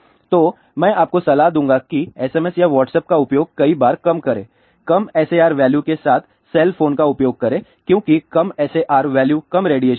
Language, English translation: Hindi, So, I would advise that use even SMS or Whatsapp lesser number of times use cell phone with the lower SAR value because lower the SAR value lesser will be the radiation